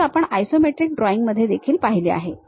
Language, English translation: Marathi, This is the way we have seen for isometric drawings this one